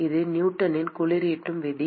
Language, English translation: Tamil, That is the Newton’s law of cooling